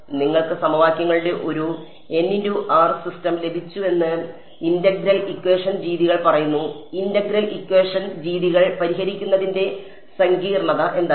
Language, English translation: Malayalam, So, integral equation methods say you got a n by n system of equations, what was the complexity of solving integral equation methods